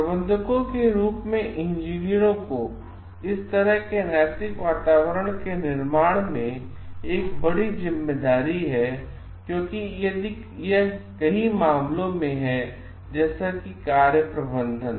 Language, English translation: Hindi, Engineers as managers have a great responsibility in creation of such ethical climates because it is in many cases like managing by doing